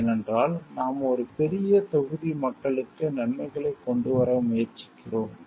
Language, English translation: Tamil, Because we are trying to bring in benefits for a larger set of people